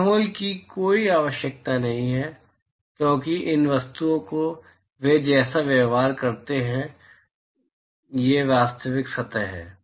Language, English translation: Hindi, There is no need for a pinhole, because these objects they behave like that, these are real surfaces